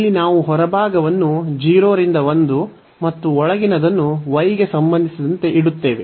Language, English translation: Kannada, So, here the outer one we keep as 0 to 1 and the inner one with respect to y